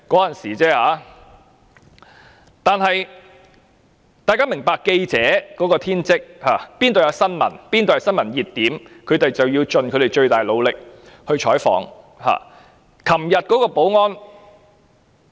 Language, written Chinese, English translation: Cantonese, 但是，大家要明白，記者的職責是，哪裏是新聞熱點，他們便要盡其最大努力採訪。, We however have to understand the duty of journalists . Whenever there is any breaking news they will try their very best to cover